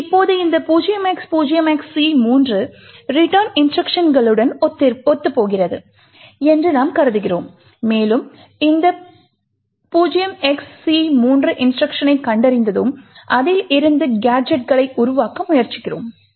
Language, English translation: Tamil, Now we assume that this c3 corresponds to a return instruction and once we have found this c3 instruction we try to build gadgets out of it